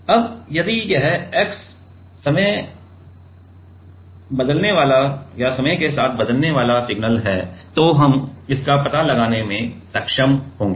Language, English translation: Hindi, Now, if this x is already a time varying signal then, we will be able to detect that